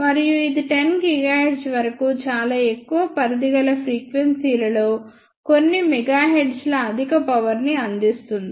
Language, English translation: Telugu, And it can provide high powers of about few megahertz for a very large range of frequencies up to about 10 gigahertz